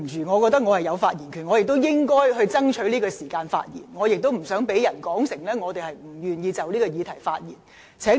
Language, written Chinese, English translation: Cantonese, 我認為我有發言權，我亦應該爭取在此刻發言，以防被他誤會我無意就此議題發言。, In my view I have the right to speak and I should strive to speak at this moment lest he should think that I have no intention to speak on this issue